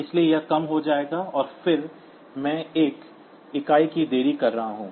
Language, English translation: Hindi, So, it will become low and then I am putting a delay of one unit